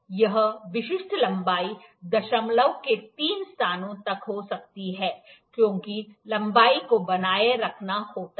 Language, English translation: Hindi, This specific length may be towards up to the three places of decimal that length has to be maintained